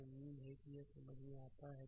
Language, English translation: Hindi, So, hopefully it is understandable to you right